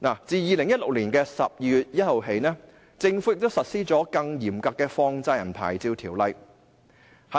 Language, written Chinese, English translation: Cantonese, 自2016年12月1日起，政府實施了更嚴格的放債人牌照條款。, Since 1 December 2016 the Government has imposed more stringent licensing terms and conditions on money lenders